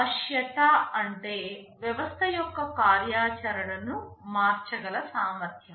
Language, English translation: Telugu, Flexibility means the ability to change the functionality of the system